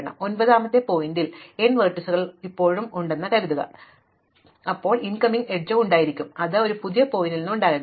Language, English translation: Malayalam, Now, if there is still not the case that the nth vertex, there are n vertices, the nth vertex still does not have indegree 0 then it must have an incoming edge, but that cannot be from a new vertex